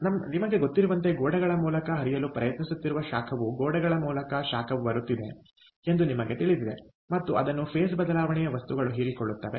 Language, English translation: Kannada, just, you know, the heat was coming through the walls, trying to get conducted through the walls, and it was, ah, absorbed by the phase change material